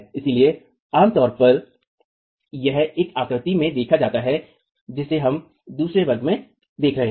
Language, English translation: Hindi, So typically that is observed in the figure that we have been seeing in the other class